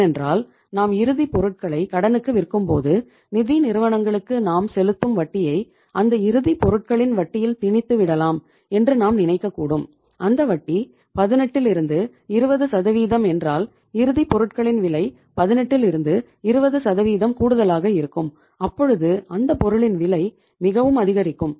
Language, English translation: Tamil, Because if you sell anything on even your finished goods if you sell on credit and you feel that if I am selling on credit I can load my credit sales with the interest which I am paying to the financial institution and if that interest is 18 to 20 percent if you load your credit sales with 18 to 20 percent of the financial cost your price of that product will be very high and nobody will buy that product even on credit